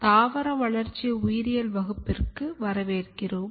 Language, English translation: Tamil, Welcome to Plant Developmental Biology course